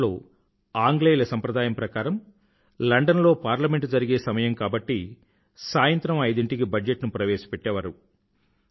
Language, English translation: Telugu, Earlier, as was the British tradition, the Budget used to be presented at 5 pm because in London, Parliament used to start working at that time